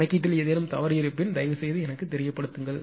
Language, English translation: Tamil, If you find any mistake in calculation you just please let me know